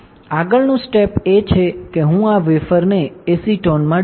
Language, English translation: Gujarati, Next step is I will dip this wafer in acetone